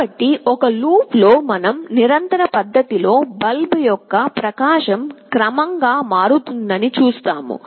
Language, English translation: Telugu, So, in a loop we will see that the brightness of the bulb will progressively change in a continuous fashion